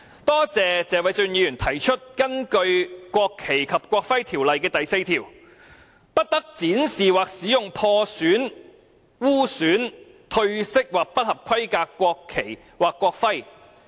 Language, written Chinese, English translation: Cantonese, 多謝謝偉俊議員指出，根據《國旗及國徽條例》第4條，"不得展示或使用破損、污損、褪色或不合規格的國旗或國徽。, I thank Mr Paul TSE for pointing out that according to section 4 of the National Flag and National Emblem Ordinance A national flag or a national emblem which is damaged defiled faded or substandard must not be displayed or used